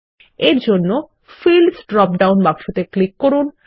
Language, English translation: Bengali, Now, click on the Condition drop down box